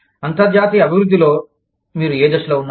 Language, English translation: Telugu, At what stage, are you, in the international development